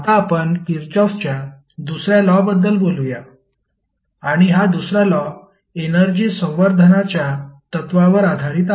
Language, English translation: Marathi, Now, let us talk about the second law of Kirchhoff and this second law is based on principle of conservation of energy